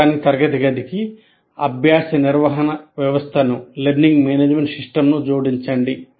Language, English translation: Telugu, Now to the electronic classroom you add another one a learning management system